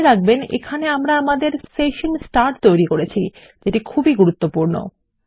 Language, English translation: Bengali, Let me remind you here that we just created our session start here, which is very important